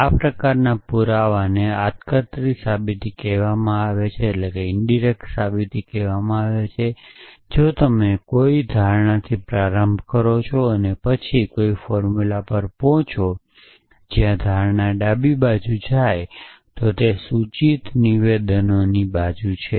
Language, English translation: Gujarati, This form of proof is called indirect proof were you start with an assumption and then arrive at a formula where is the assumption becomes a left is side of a implication statement